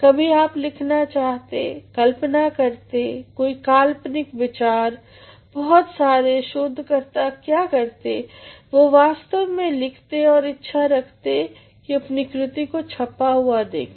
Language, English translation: Hindi, Sometimes you want to write, imagine, having an imaginative idea most of the researchers what they do is they actually write and they also want to see their writing in print